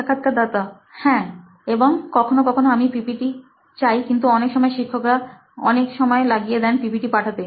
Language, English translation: Bengali, Yeah, and then sometimes I ask for the PPTs but what happens that teachers take a bit little time to forward those PPTs